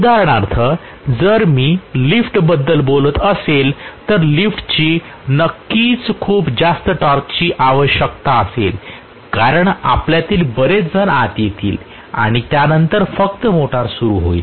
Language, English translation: Marathi, For example if I am talking about an elevator, elevator will definitely have a requirement for a very high starting torque because many of us would get in and then after that only the motor is going to start